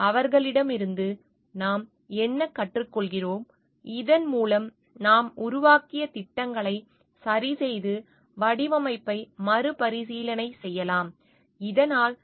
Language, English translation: Tamil, What we are learning from them, so that we can correct on our plans that we have made and relook at the design, so that these problems gets arrested